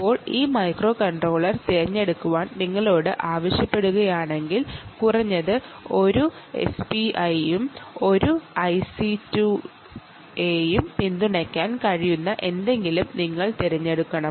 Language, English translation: Malayalam, now, if you are asked to choose this microcontroller, you obviously have to choose something that can support at least one s p i and one i two c